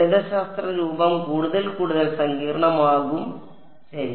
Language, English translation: Malayalam, The mathematical form will become more and more complicated ok